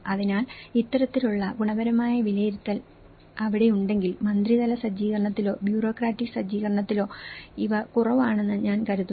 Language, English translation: Malayalam, So, I think if this kind of qualitative assessment also is there, then these are lacking in the ministerial setup or in a bureaucratic setup